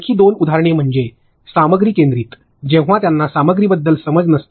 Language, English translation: Marathi, Another two examples is when they content centric, that is they have no understanding of the content itself